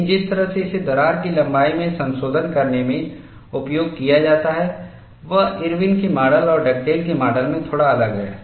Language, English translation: Hindi, But the way how it is used in modifying in the crack length is slightly different in Irwin’s model and Dugdale’s model